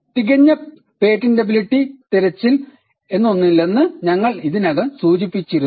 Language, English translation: Malayalam, And we had already mentioned that there is no such thing as a perfect patentability search